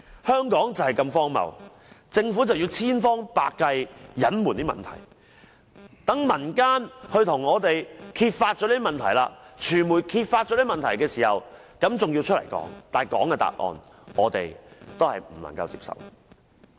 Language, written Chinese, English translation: Cantonese, 香港就是這麼荒謬，政府千方百計隱藏問題，待民間或傳媒把問題揭發出來，政府才作出回應，而政府的回應卻是不能接受的。, Hong Kong must be so absurd . The Government is trying every possible means to hide its problems and will not respond until the public or the media has exposed the issue . Still the response of the Government is hardly acceptable